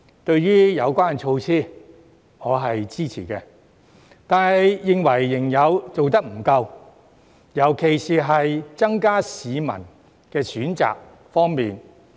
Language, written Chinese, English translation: Cantonese, 對於有關措施，我是支持的，但認為仍然做得不夠，尤其是增加市民的選擇方面。, Despite my support for the measure concerned I reckon that it is still not enough especially in providing more choices for people